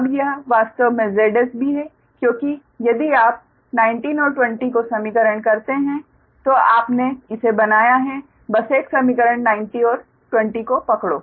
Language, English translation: Hindi, now this is actually z s b, because if you equation nineteen and twenty, you have made it right